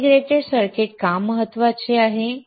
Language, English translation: Marathi, Why integrated circuit is important